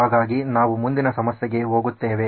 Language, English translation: Kannada, So we’ll go to the next problem